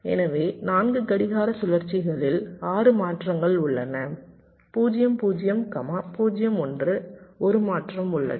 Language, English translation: Tamil, so in four clock cycles there are six transitions, like: from zero, zero, zero, one